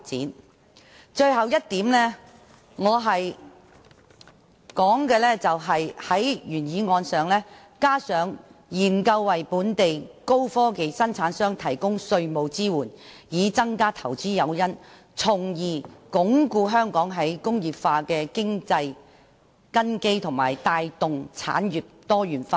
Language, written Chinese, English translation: Cantonese, 我在原議案加入的最後一點是"研究為本地高科技生產商提供稅務支援，以增加投資誘因，從而鞏固香港'再工業化'的經濟根基及帶動產業多元化"。, The last point that I have added to the original motion is study the provision of tax support for local high - technology manufacturers to increase their investment incentive thereby consolidating the economic foundation for the re - industrialization of Hong Kong and driving the diversification of industries